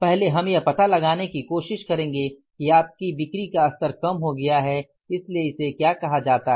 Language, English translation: Hindi, First we will try to find out is that your sales level has come down